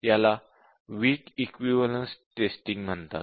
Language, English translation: Marathi, This called as Weak Equivalence Testing